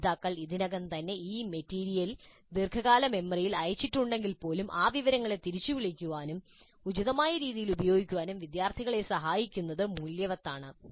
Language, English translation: Malayalam, So even if the learners have already committed this material to long term memory, it is worthwhile to help students practice recalling that information and using it appropriately